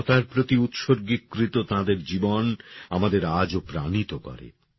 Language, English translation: Bengali, Her life dedicated to humanity is still inspiring all of us